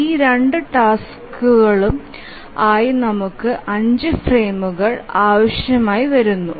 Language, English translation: Malayalam, So we need five frames for these two tasks